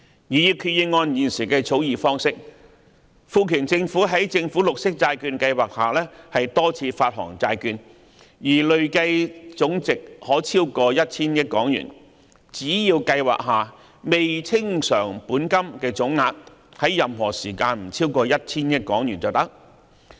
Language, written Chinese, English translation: Cantonese, 擬議決議案現時的草擬方式，賦權政府在政府綠色債券計劃下多次發行債券，而累計總值可超過 1,000 億港元，只要計劃下未清償本金的總額在任何時間不超過 1,000 億元便可。, The proposed resolution as presently drafted authorizes the Government to issue bonds multiple times under the Government Green Bond Programme for an amount cumulatively exceeding HK100 billion in total so long as the total amount of outstanding principal under the Programme does not exceed 100 billion at any time